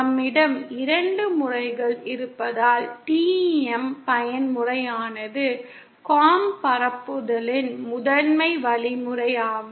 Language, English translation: Tamil, Since we have two modes, therefore TEM mode is the primary means of propagation